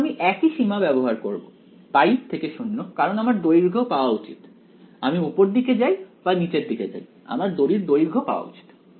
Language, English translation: Bengali, Now I will use the same limits pi to 0 because I should get the length whether I go upwards or downwards I should get the length of the string ok